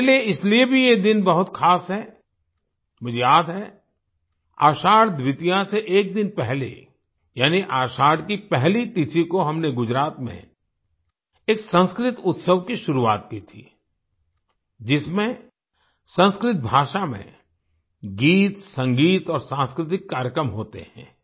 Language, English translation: Hindi, For me this day is also very special I remember, a day before Ashadha Dwitiya, that is, on the first Tithi of Ashadha, we started a Sanskrit festival in Gujarat, which comprises songs, music and cultural programs in Sanskrit language